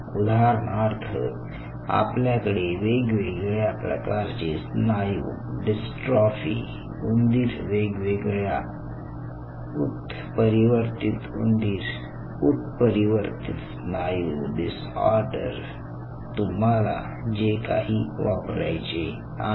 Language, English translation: Marathi, so say, for example, you have this different kind of muscular dystrophy, mice, different mutant, mice mutants, muscle disorder